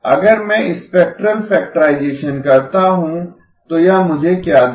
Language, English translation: Hindi, If I do spectral factorization what will it give me